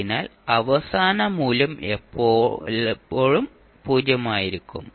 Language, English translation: Malayalam, So final value will always be zero